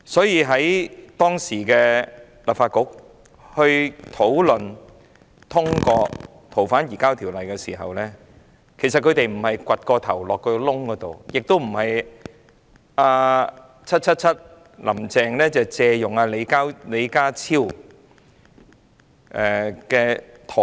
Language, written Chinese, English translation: Cantonese, 因此，當時的立法局討論並通過《條例》時，他們並非挖了一個洞把頭埋進去，亦並非一如 "777" 林鄭月娥借用李家超的說法，是"鴕鳥"。, Hence when the Legislative Council at that time debated and endorsed the Ordinance Members did not avoid the issue . They did not dig a hole and bury their head in the sand like an ostrich a comparison Secretary John LEE used and 777 Carrie LAM repeated